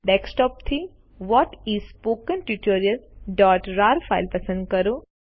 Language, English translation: Gujarati, From the Desktop, select the file What is a Spoken Tutorial.rar